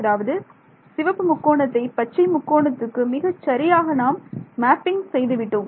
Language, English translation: Tamil, So, I have got a transformation that is very neatly mapping my red triangle to the green triangle right very clever